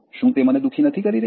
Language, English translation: Gujarati, Is it not making me unhappy